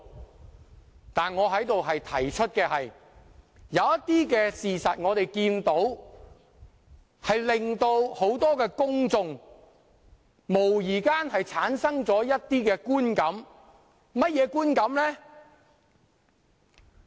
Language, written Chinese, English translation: Cantonese, 不過，我在此提出的是，有些事實無疑會令公眾產生一些觀感，那是甚麼觀感？, However the point that I wish to make here is that some facts will undoubtedly give some feelings to the public . What are these feelings?